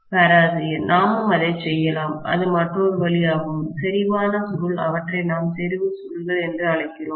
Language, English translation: Tamil, We can do that also, that is another way, concentric coil, we call them as concentric coils